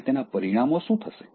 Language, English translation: Gujarati, Now, what will be the consequences